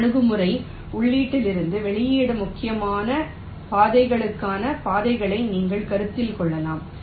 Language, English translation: Tamil, the other approach: maybe you consider paths from input to the output, critical paths